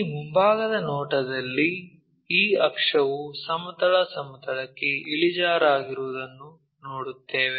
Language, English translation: Kannada, So, in that front view we will see this axis is inclined to horizontal plane